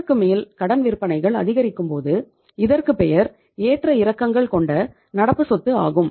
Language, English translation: Tamil, But more than that if you increase the credit sales that will be the fluctuating current asset